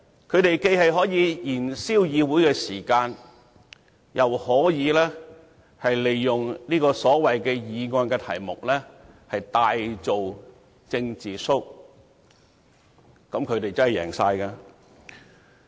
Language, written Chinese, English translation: Cantonese, 他們既可藉此燃燒議會時間，亦可利用議案題目大做"政治 show"， 這樣他們真的可謂全贏。, Not only can they use such motions to burn the Councils time but they can also use the subjects of the motions to put on big political shows . This being the case it can really be said that they can score an overall victory